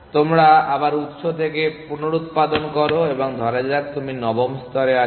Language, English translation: Bengali, You regenerate from the source again and so suppose think you are at the ninth layer